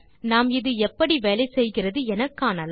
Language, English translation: Tamil, Let us see how this works